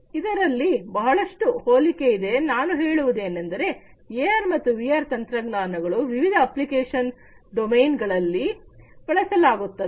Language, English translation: Kannada, There is lot of similarity I mean there is lot of use of AR and VR technologies in these different types of application domains